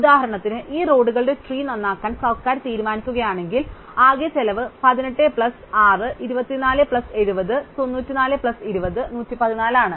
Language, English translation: Malayalam, So, if for instance, the government chose to repair this tree of roads, then the total cost is 18 plus 6, 24 plus 70, 94 plus 20, 114